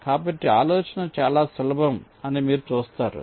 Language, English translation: Telugu, see, the idea is simple